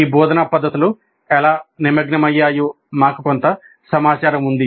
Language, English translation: Telugu, We also have some information regarding how engaging these instructional methods are